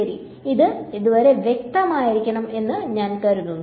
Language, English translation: Malayalam, Ok, it should be fairly clear till now